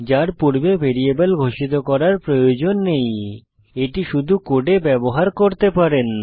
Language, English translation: Bengali, You do not need to declare a variable before using it you can just use it into your code